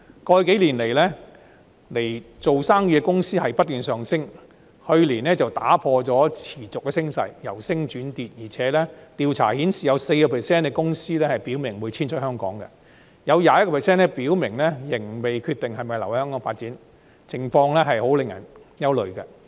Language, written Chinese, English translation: Cantonese, 過去幾年，來港做生意的公司數目不斷上升，去年卻打破了持續升勢，由升轉跌，而且調查顯示有 4% 的公司表明會遷出香港，有 21% 的公司表明仍未決定是否留港發展，情況令人憂慮。, The overall decline though not considered significant has sounded an alarm . The number of foreign companies doing business in Hong Kong had been rising over the past few years until last year when the upward trend reversed . Besides the survey shows that 4 % of the companies have expressed an intention to relocate outside Hong Kong and 21 % have indicated that they remain undecided about whether to stay in Hong Kong for business development